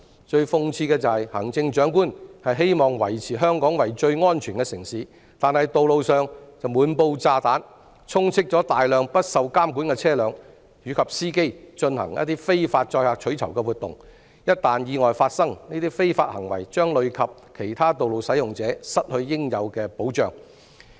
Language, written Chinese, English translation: Cantonese, 最諷刺的是，行政長官希望維持香港為最安全的城市，但道路上卻滿布"炸彈"，充斥了大量不受監管的車輛及司機進行非法載客取酬活動，一旦發生意外，這些非法行為將累及其他道路使用者失去應有的保障。, It is most ironical that the Chief Executive wants to maintain Hong Kong as the safest city while the roads are full of bombs as reflected by a large number of unregulated vehicles and drivers engaged in illegal carriage of passengers for reward activities . Once an accident happens other road users will also be affected as they may lose the protection due to them